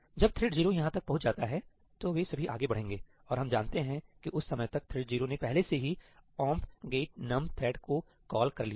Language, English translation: Hindi, When thread 0 reaches over here, then all of them will proceed ahead and we know by that time thread 0 would have already called ëomp get num threadí